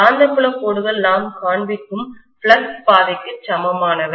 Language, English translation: Tamil, Magnetic field lines are the same as the flux path that we are showing